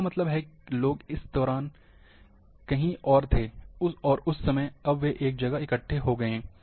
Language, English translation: Hindi, That means,people were elsewhere, during this time, and that time, now they have got assembled at one place